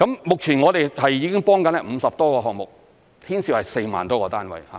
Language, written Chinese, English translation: Cantonese, 目前我們已經在幫助50多個項目，牽涉4萬多個單位。, Currently we have been assisting over 50 development projects involving 40 000 - odds housing units